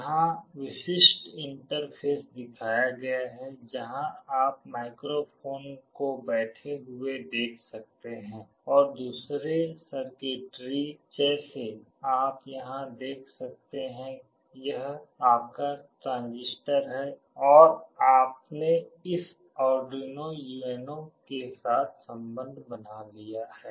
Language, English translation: Hindi, Here the typical interface is shown where you can see the microphone sitting here and the other circuitry you can see here, this is your transistor and you have made the connection with this Arduino UNO